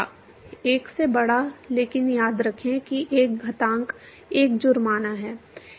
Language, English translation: Hindi, Greater than 1, but remember there is an exponent 1 fine